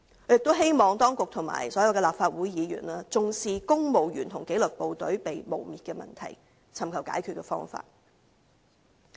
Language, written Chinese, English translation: Cantonese, 我亦希望當局和所有立法會議員重視公務員和紀律部隊被誣衊的問題，尋求解決方法。, I also hope that the authorities and all the Legislative Council Members will attach importance to the problem of vilification against the Civil Service and disciplined services and find solutions to the problem